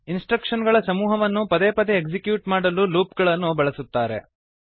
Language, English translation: Kannada, Loops are used to execute a group of instructions repeatedly